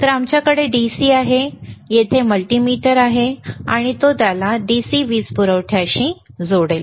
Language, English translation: Marathi, So, we have the DC we have the multimeter here, and he will connect it to the DC power supply